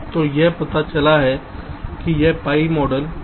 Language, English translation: Hindi, so it has been found that this is this is one segment of the pi model